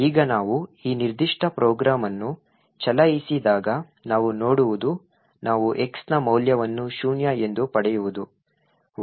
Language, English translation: Kannada, Now when we run this particular program what we see is that we obtain a value of x is zero